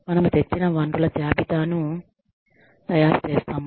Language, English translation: Telugu, We make a list of the resources, that we have acquired